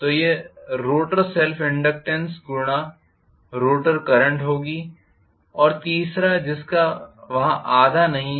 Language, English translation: Hindi, So, this is the rotor self inductance multiplied by the rotor current itself